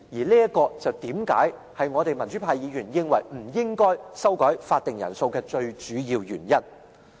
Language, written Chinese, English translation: Cantonese, 這就是為何民主派議員認為不應修改法定人數的最主要原因。, The two committees should operate as a whole . This is the main reason why democratic Members oppose adjusting the quorum of a committee of the whole Council